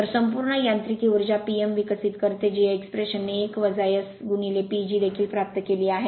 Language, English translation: Marathi, So, total mechanical power develop P m this expression you have also derived 1 minus S into P G